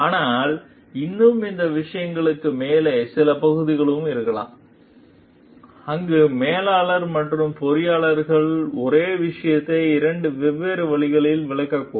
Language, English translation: Tamil, But still, above those things also there could be certain areas, where people the manager and the engineer maybe interpreting the same thing in two different ways